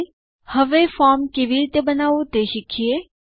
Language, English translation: Gujarati, Now, let us learn how to create a form